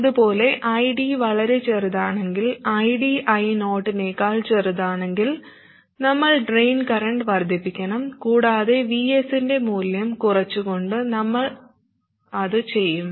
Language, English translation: Malayalam, And similarly, if ID is too small, if ID is smaller than I 0, then we must increase the drain current and we do that by reducing the value of VS